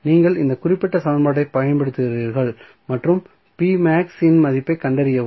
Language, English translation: Tamil, So, you apply this particular equation and find out the value of p max